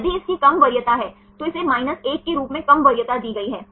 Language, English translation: Hindi, If it has low preference it has less preference taken as 1